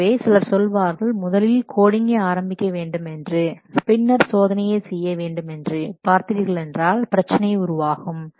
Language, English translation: Tamil, So if somebody says that first we will start coding and later on will the testing, then you see what problem will occur